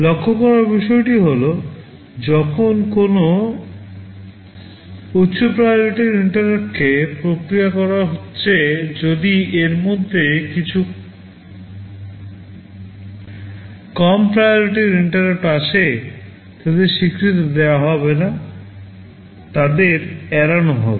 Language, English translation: Bengali, The point to note is that when a high priority interrupt is being processed, if some lower priority interrupt comes in the meantime; they will not be acknowledged, they will be ignored